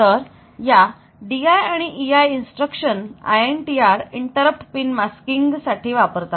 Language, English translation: Marathi, So, this D I, E I instructions can be used for masking this interrupt pin INTR pin whereas for 6